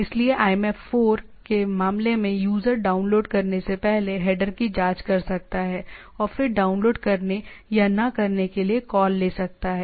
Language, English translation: Hindi, So, in case of IMAP4 the user can check the header before downloading, and then take a call with that to download or not